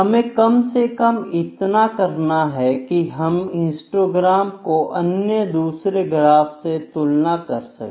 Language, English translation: Hindi, So, we should be able to at least compare the histogram with the other graphs